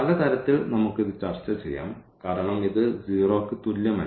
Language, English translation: Malayalam, So, in many ways we can discuss this the one was already here that because this is not equal to 0